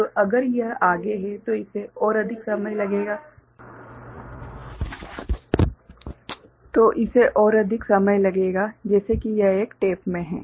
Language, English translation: Hindi, So, that will take if it is further then it will take more time like if it is in a tape